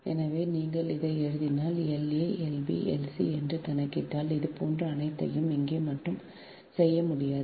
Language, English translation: Tamil, so if you write this, if you compute l a, l, b, l c, all sort of like this cannot be made it here only, right